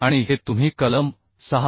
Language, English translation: Marathi, 2 it is given clause 6